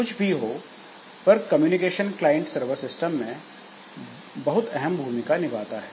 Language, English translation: Hindi, So, whatever it is, so this communication is very important in client server system